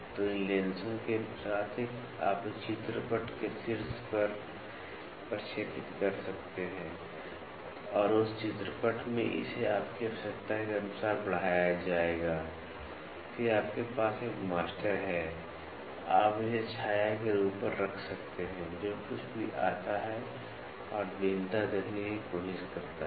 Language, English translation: Hindi, So, with these lenses you can project on top of a screen and in that screen it will be magnified according to a requirement, then you have a master, you can place it on top of the shadow whatever comes and try to see the variation